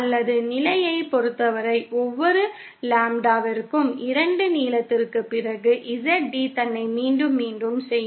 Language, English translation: Tamil, Or in terms of position, after every Lambda upon 2 lengths, ZD will repeat itself